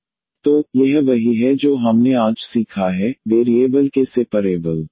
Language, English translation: Hindi, So, this is what we have learnt today, the separable of variables